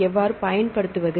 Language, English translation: Tamil, And how to utilize the data